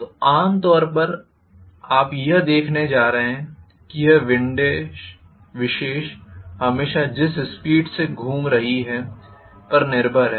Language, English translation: Hindi, So generally you are going to see that this particular windage is always dependent upon the speed at which the machine is rotating